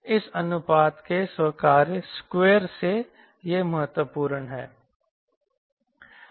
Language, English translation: Hindi, by the squared of this ratio